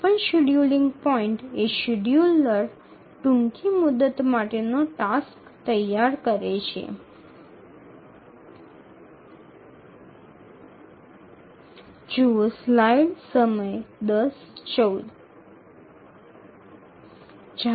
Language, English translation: Gujarati, At any scheduling point, the scheduler dispatches the shortest deadline ready task